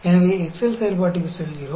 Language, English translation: Tamil, So, we go to the Excel function